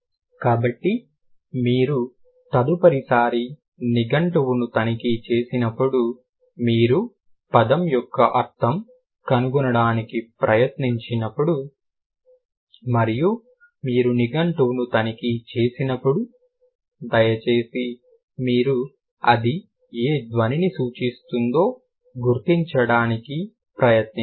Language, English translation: Telugu, So, that is why when you check our dictionary, next time when you try to find out the meaning of a word and you check our dictionary, please make sure that you are familiar enough to like to recognize which sound stands for, like which symbol stands for which sound